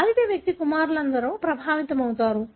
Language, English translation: Telugu, All sons of an affected man are affected